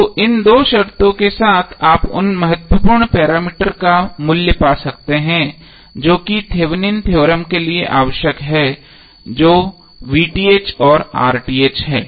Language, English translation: Hindi, So with these two conditions you can find the value of the important parameters which are required for Thevenin’s theorem which are VTh and RTh